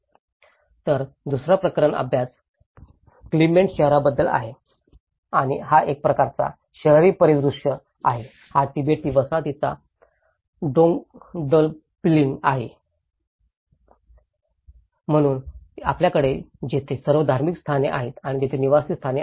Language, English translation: Marathi, So, the second case study is about the Clement town and this is a kind of an urban scenario, is a Dondupling of Tibetan settlements, so you have all the religious setting here and there are residential setting over here